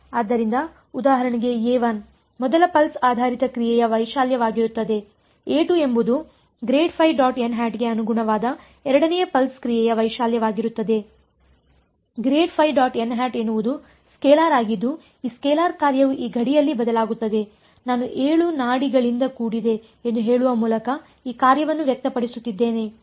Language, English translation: Kannada, So, a 1 for example, will be the amplitude of the first pulse basis function a 2 will be the amplitude of the second pulse function that corresponds to grad phi dot n hat grad phi dot n hat is a scalar its a scalar function that varies on this boundary right, I am expressing this function by saying that it is made up of 7 pulses